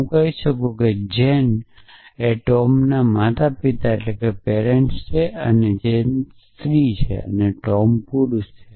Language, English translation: Gujarati, So, I could say a Jane is a parent of tom and Jane is female and Tom is male